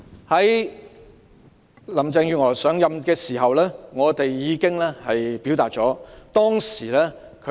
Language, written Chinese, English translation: Cantonese, 在林鄭月娥上任時，我們已向她表達意見。, When Chief Executive Carrie LAM took office we expressed our views to her